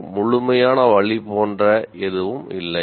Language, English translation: Tamil, There is nothing like an absolute way